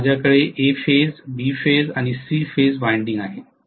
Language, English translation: Marathi, Now I have A phase, B phase and C phase windings here